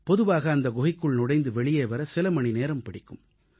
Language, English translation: Tamil, Usually it takes a few hours to enter and exit that cave